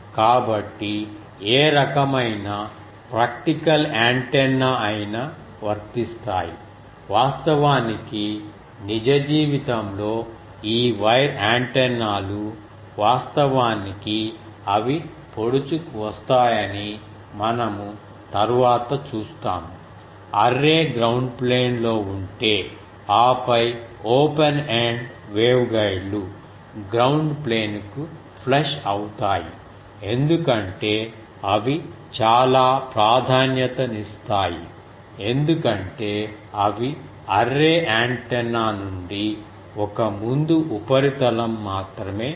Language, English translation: Telugu, So, any type of practical antennas will do, we will see later that actually in real life this wire antennas actually they get protruded instead; if array is on a ground plane and then the open ended waveguides flush to the ground plane that is much preferred because they will only the one front surface comes of the array antenna